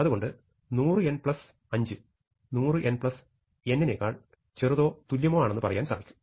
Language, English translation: Malayalam, So, we can say 100 n plus 5 is smaller than equal to 100 n plus n